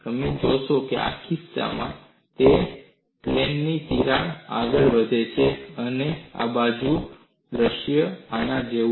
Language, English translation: Gujarati, You will find, in this case, the crack proceeds in the plane, and the side view is like this